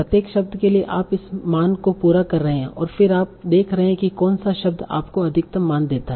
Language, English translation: Hindi, And then you are seeing what is the maximum value, which word gives you the maximum value